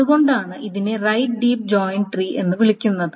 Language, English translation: Malayalam, That is why it is called a right deep joint tree